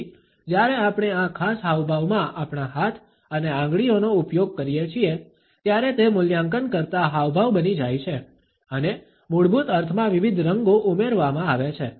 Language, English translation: Gujarati, So, when we introduce our hands and fingers in this particular gesture then it becomes an evaluator gesture and different shades are added to the basic meaning